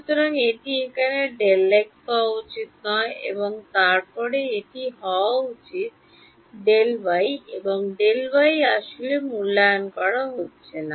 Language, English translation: Bengali, So, this should be delta x over here and then this should be E y and E y is actually not being evaluated at